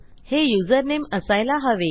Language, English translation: Marathi, This should be username